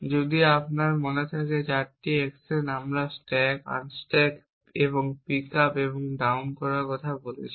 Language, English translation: Bengali, If you remember there a 4 actions we talked about stack unstack and pick up and put down